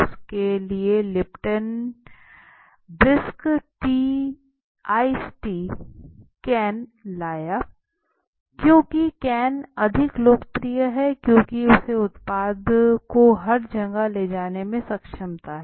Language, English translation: Hindi, Lipton brought brisk ice tea is a brand in the can because cans are again more popular because they have a ability to carry the product everywhere